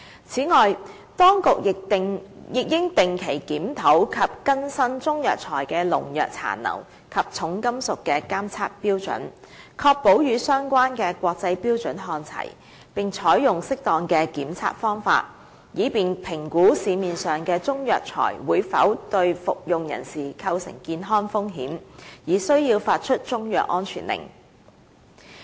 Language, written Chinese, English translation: Cantonese, 此外，當局亦應定期檢討及更新中藥材的農藥殘留及重金屬的監測標準，確保與相關的國際標準看齊，並採用適當的檢測方法，以便評估市面上的中藥材會否對服用人士構成健康風險，而須發出中藥安全令。, Moreover the Administration should also regularly review and update the standards of limits of pesticide residues and heavy metals for Chinese herbal medicines to ensure that these standards are on par with the relevant international standards and appropriate testing methods should be adopted to assess whether a Chinese herbal medicine may have public health risk and warrant the issuance of a CMSO